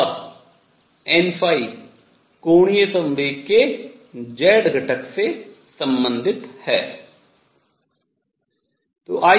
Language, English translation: Hindi, And n phi is related to the z component of the angular momentum